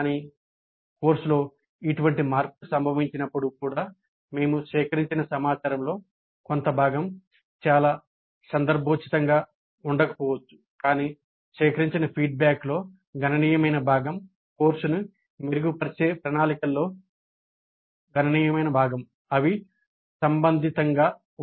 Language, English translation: Telugu, But even when such changes occur in the course, part of the information that we have collected may not be very much relevant, but a substantial part of the feedback collected, a substantial part of the plans for improving the course, there will remain relevant